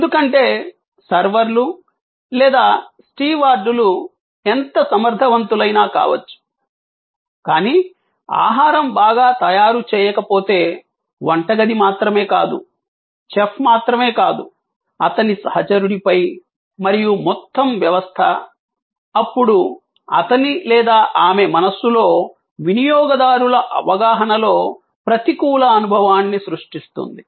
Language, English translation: Telugu, Because, however efficient the servers may be or the stewards may be, if the food is not well prepared, then not only the kitchen comes into play, not only the chef is then on the mate, the whole system is then creating an adverse experience in the customers perception in his or her mind